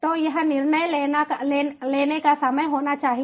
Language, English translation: Hindi, so it has to be the time for decision making